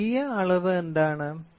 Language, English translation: Malayalam, What is secondary measurement